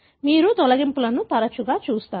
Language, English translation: Telugu, That is how more often you see deletions